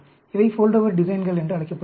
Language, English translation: Tamil, These are called Foldover design